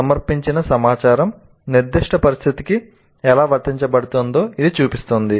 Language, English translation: Telugu, This shows how the presented information is applied to specific situation